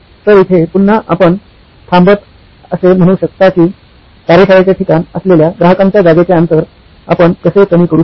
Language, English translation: Marathi, So here again you could stop and say can I, how might we actually decrease the customer location distance from where his workshop was